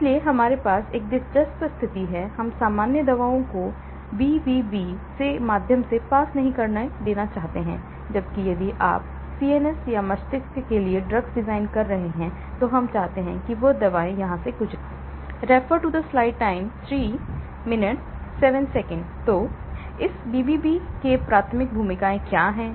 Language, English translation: Hindi, So, we have an interesting situation, we do not want normal drugs to pass through the BBB, whereas if you are designing drugs for CNS or brain, we want those drugs to pass through,